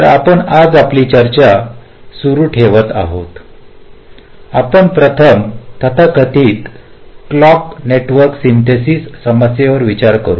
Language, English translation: Marathi, today we shall be considering first the problem of the so called clock network synthesis